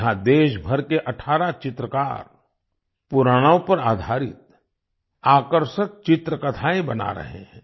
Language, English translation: Hindi, Here 18 painters from all over the country are making attractive picture story books based on the Puranas